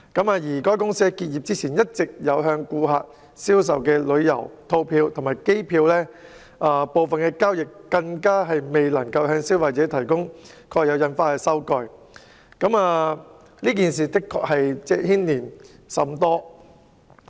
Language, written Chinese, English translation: Cantonese, 至於該公司結業前向顧客銷售的旅遊套票及機票，就部分交易未能向消費者提供蓋有印花的收據，這事的確牽連甚廣。, However the consumers were not provided with stamped receipts for some transactions relating to travel packages and air tickets that were sold by the company to customers before its closure . This incident has wide - ranging impacts indeed